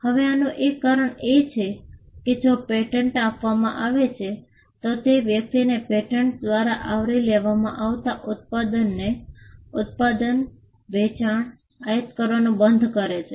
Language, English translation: Gujarati, Now, there is a reason for this because, if a patent is granted, it stops a person from using manufacturing, selling, importing the product that is covered by the patent